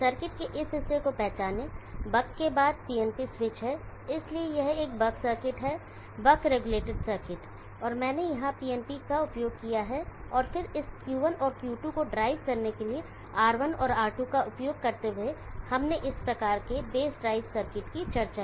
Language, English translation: Hindi, Recognize this portion of the circuit, there is a PNP switch followed by buck, so this is a buck circuit, buck related circuit and I will use PNP here and then using R1 and R2 to drive this Q1 and Q2 just we discussed this type of base drive circuit